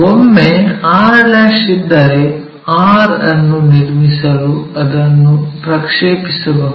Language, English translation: Kannada, Once r' is there we can project that all the way down to construct r